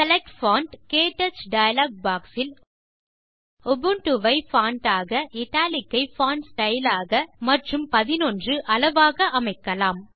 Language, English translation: Tamil, In the Select Font KTouch dialogue box, let us select Ubuntu as the Font, Italic as the Font Style, and 11 as the Size